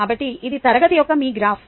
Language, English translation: Telugu, so so this is your graph of the class